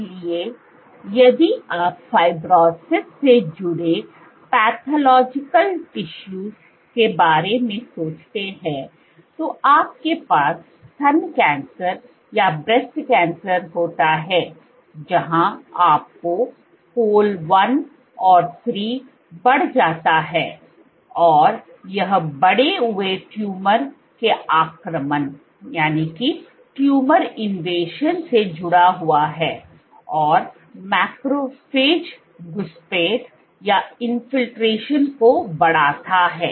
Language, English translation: Hindi, So, if you think of pathological tissues associated with fibrosis, you have breast cancer where you have col 1 and 3 up and this has been associated with increased tumor invasion and increased macrophage infiltration